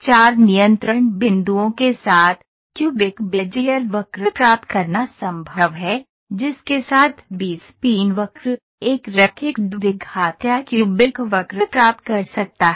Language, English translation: Hindi, With four control points, it is possible to get a cubic Bezier curve, with which B spline curve, one can get a linear quadratic or a cubic curve